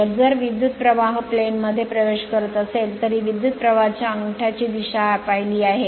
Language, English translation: Marathi, So, if the current is entering into the plane that this is the direction of the current thumb looked at by thumb